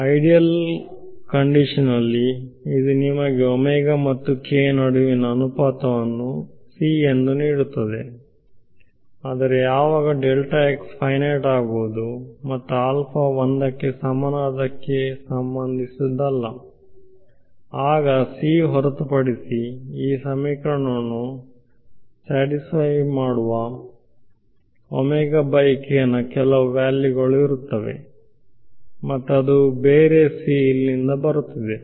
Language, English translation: Kannada, In the ideal case it is giving you the ratio between omega and k to be c, but when delta x and delta t are finite and not related with alpha equal to 1 then there will be some other value of omega by k with satisfies this equation other than c, and that other than c is coming from here